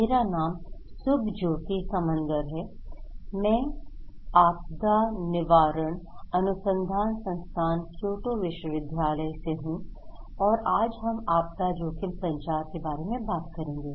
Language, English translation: Hindi, I am Subhajyoti Samaddar from Disaster Prevention Research Institute, Kyoto University and we will talk about disaster risk communications